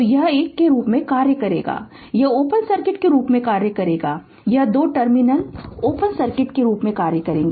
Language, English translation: Hindi, So, it will act as a it will act as open circuit this two terminal will act as open circuit